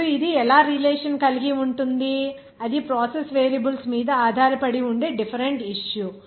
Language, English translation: Telugu, Now how it will be related that is a different issue that depends on the process variables